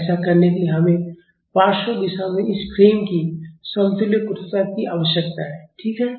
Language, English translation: Hindi, To do that we need an equivalent stiffness of this frame in the lateral direction, right